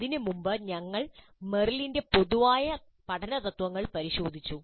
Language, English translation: Malayalam, Earlier to that, we looked at Merrill's general first principles of learning